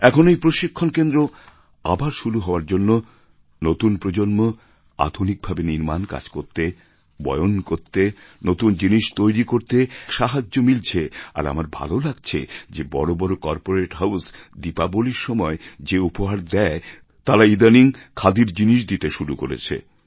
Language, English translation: Bengali, With the reopening of this training centre, the new generation will get a boost in jobs in manufacturing , in weaving, in creating new things and it feels so good to see that even big corporate Houses have started including Khadi items as Diwali gifts